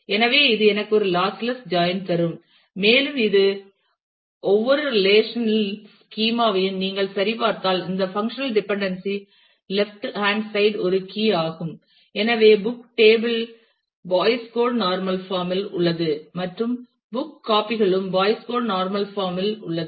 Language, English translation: Tamil, So, this will also give me a lossless join and if you check on each one of these relational schema then this functional dependency the left hand side is a key and therefore, book catalogue is in Boyce Codd normal form and book copies is also in Boyce Codd normal form